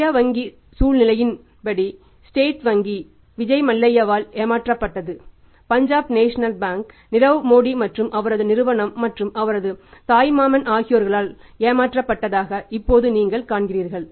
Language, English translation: Tamil, Then is a regulatory now you see that what has happened in the past in case of the Indian banking scenario State Bank is then say deceived by Vijay Mallya, Punjab National Bank is deceived by Nirav Modi and his company and his maternal uncle